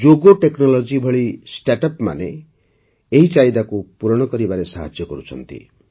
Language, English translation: Odia, Startups like Jogo Technologies are helping to meet this demand